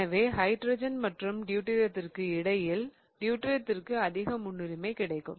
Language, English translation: Tamil, So, between hydrogen and deuterium, the deuterium will get the higher priority